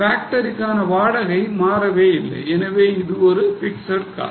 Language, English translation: Tamil, Rent of the factory, unchanged, so it's a fixed cost